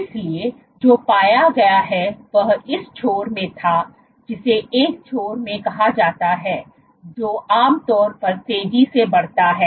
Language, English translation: Hindi, So, what has been found was it in this end which is called in one end which typically grows faster